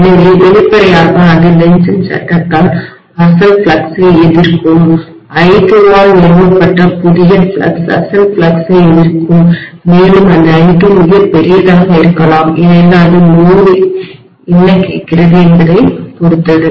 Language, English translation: Tamil, So obviously it will be opposing the original flux by Lenz’s law the new flux that have been established by I2 will oppose the original flux and this I2 may be very very large because it depends upon what the load is demanding